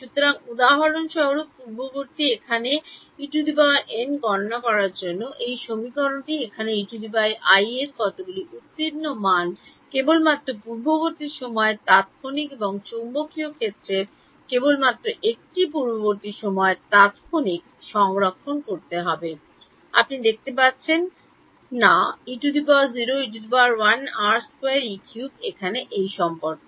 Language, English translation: Bengali, So, for example, in this previous here this equation over here to calculate E n, how many passed values of E i do I need to store only one previous time instant and only one previous time instant of magnetic field, you do not see E 0, E 1, E 2, E 3 over here in this relation